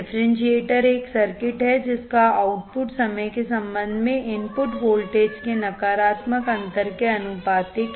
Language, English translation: Hindi, The differentiator is a circuit whose output is proportional to negative differential input voltage with respect to time